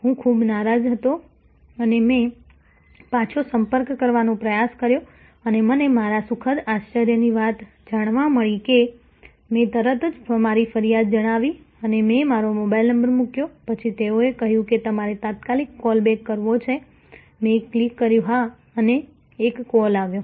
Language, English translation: Gujarati, I was quite annoyed and I try to contact back and I found to my pleasant surprise that there was as soon as I put in my nature of complaint and I put in my mobile number, then they said you want an immediate call back, I clicked yes and a call came through